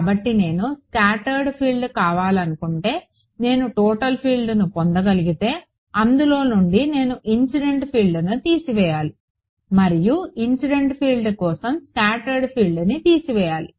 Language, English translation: Telugu, So, once I can get the total field if I want the scattered field I have to subtract of the incident field and vice versa for the scattered field vice right